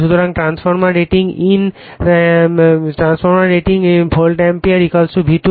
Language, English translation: Bengali, So, transformer rating at in volt ampere = V2 I2